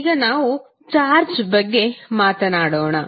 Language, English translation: Kannada, Now, let us talk about the charge